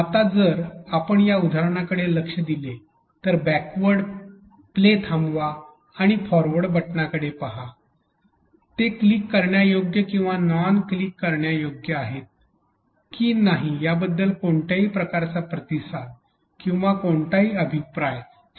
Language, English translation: Marathi, Now, if you look at this example the backward play pause and forward buttons here have absolutely no response or no feedback to the learners whether it is clickable or non clickable